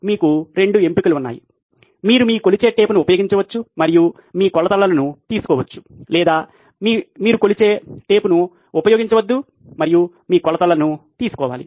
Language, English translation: Telugu, So you have 2 choices you can either use your measuring tape and take your measurements or don’t use your measuring tape and take your measurements